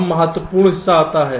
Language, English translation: Hindi, ok, fine, now comes the important part